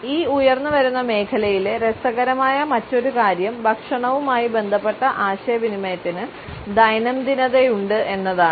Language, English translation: Malayalam, Another aspect which is interesting about this emerging area is that the communication related with food has an everydayness